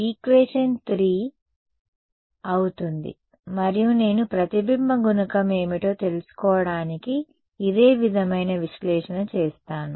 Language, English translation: Telugu, Will be equation 3 and I will do a similar analysis, to find out what is the reflection coefficient